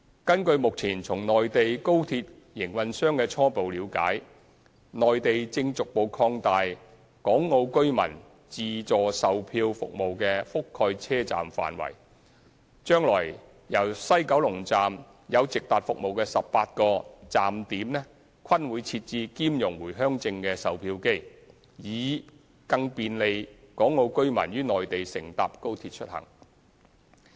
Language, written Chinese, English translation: Cantonese, 根據目前從內地高鐵營運商的初步了解，內地正逐步擴大港澳居民自助售取票服務的覆蓋車站範圍，將來由西九龍站有直達服務的18個站點均會設置兼容回鄉證的售票機，以更便利港澳居民於內地乘搭高鐵出行。, According to the latest initial understanding from the Mainland high - speed rail operator the Mainland is progressively extending automatic ticket vending and issuing service for Hong Kong and Macao residents to more stations . In the future the 18 stations reachable by direct trains from WKS will all be installed with ticket vending machines compatible with the Home Return Permit to facilitate the travel of Hong Kong and Macao residents on the Mainland by means of high - speed rail